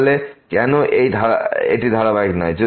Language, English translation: Bengali, So, why this is not continuous